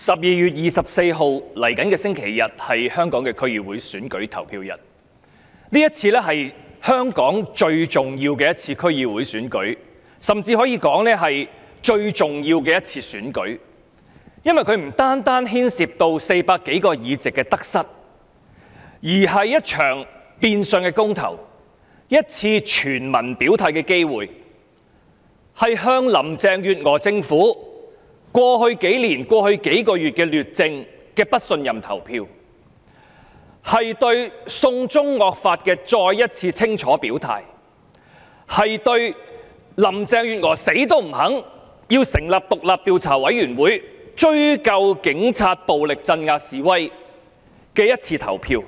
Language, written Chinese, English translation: Cantonese, 11月24日，本星期日是香港區議會選舉投票日，這是最重要的一次區議會選舉，甚至可以說是香港最重要的一次選舉，因為它不單牽涉各黨派在400多個區議會議席中的得失，而是一場變相公投，一次全民表態的機會，向林鄭月娥政府過去兩年、過去數月的劣政進行不信任投票，對"送中惡法"再一次清楚表態，對林鄭月娥堅決不肯成立獨立調查委員會追究警察暴力鎮壓示威的一次表決。, It is the most important DC Election ever and it is even arguably the most important election in Hong Kong of all time . I say so because it concerns not only the number of seats that various political parties and groupings can win or lose out of the 400 or so DC seats . It is also a de facto referendum that gives everyone an opportunity to express their stances to cast a vote of no confidence in Carrie LAMs administration due to its dreadful performance over the past two years and the past few months to express their clear stance once again on the draconian law on the extradition to China and to vote on Carrie LAMs adamant refusal to form an independent commission of inquiry to hold the Police accountable for their brutal suppression of protests